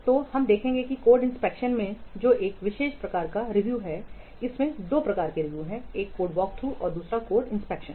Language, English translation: Hindi, So we will see that in code inspection which is a particular type of review, we will see that there are two types of review